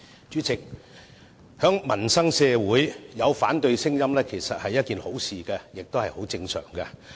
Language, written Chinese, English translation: Cantonese, 主席，社會上有反對聲音其實是好事，也是很正常的事。, President it is definitely a good thing and a normal phenomenon to have opposition voice in society